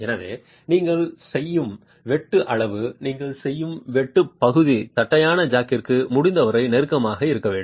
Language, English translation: Tamil, So, the size of the cut that you make, the area of the cut that you make must be as close as possible to the flat jack itself